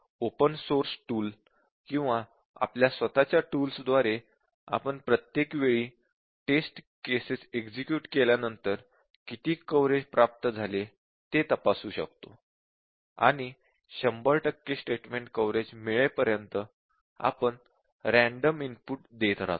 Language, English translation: Marathi, The open search tool or our own tool, you can check what is the coverage achieved each time we execute a test case, and we keep on giving random inputs until we get 100 percent statement coverage